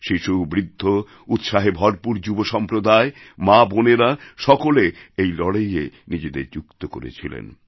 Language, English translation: Bengali, Children, the elderly, the youth full of energy and enthusiasm, women, girls turned out to participate in this battle